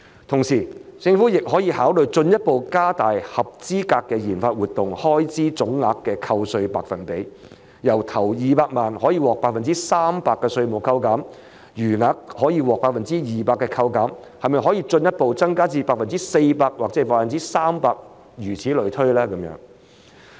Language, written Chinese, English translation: Cantonese, 同時，政府亦可考慮進一步加大合資格的研發活動開支總額扣稅百分比，由首200萬元可獲 300% 扣稅，餘額可獲 200% 扣減，可否進一步分別增加至 400% 或 300%？, At the same time the Government may also consider further increasing the percentage of tax deduction for expenditures on qualifying RD activities from 300 % for the first 2 million of the aggregate amount and 200 % for the remaining amount to 400 % and 300 % respectively?